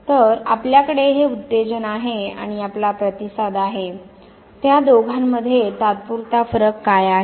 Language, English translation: Marathi, So, you have this stimulus and you have the response, what is the temporal difference between the two